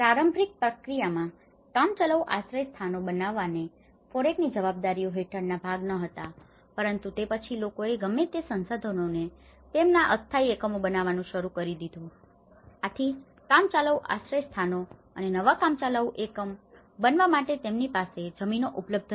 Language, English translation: Gujarati, And under the FOREC responsibilities, temporary shelters was not been a part in the initial process but then, people have started building their temporary units whatever the resources they had so, this is where the temporary shelters and building new temporary units have already started, in whatever the lands they are not available